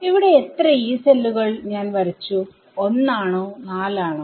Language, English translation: Malayalam, So, how many Yee cells have I drawn 1 or 4